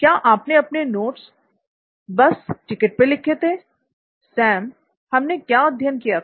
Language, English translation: Hindi, Did you write your notes in a bus ticket, what did we learn Sam